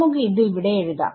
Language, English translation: Malayalam, So, let us maybe we will write it over here